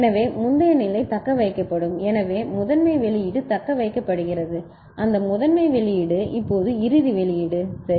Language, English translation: Tamil, So, previous state will be retained, so master output is retained so, that master output now goes to the final output ok